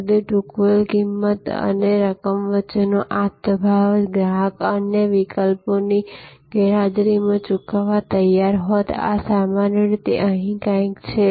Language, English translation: Gujarati, So, that this difference between the price paid and amount the customer would have been willing to pay in absence of other options this usually is somewhere here